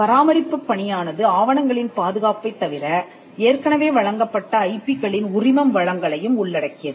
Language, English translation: Tamil, So, the maintenance function also involves apart from record keeping the licensing of the IP that is already granted